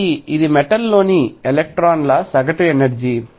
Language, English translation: Telugu, So, this is the average energy of electrons in a metal